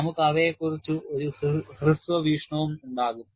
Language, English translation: Malayalam, We will also have a brief look at them